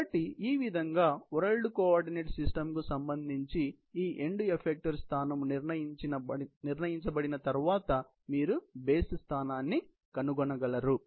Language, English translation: Telugu, So, that is how you can locate the base, once this end effecter position is determined with respect to the world system